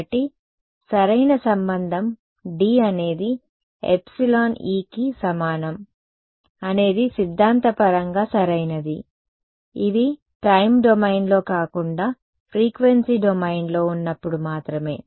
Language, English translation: Telugu, So, the correct the relation D is equal to epsilon E is theoretically correct only when these are in the frequency domain not in the time domain right